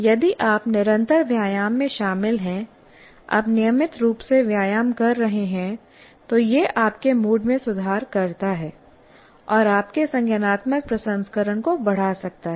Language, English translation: Hindi, If you are involved in continuous exercises, you are exercising regularly, then it improves your mood and also can enhance your cognitive processing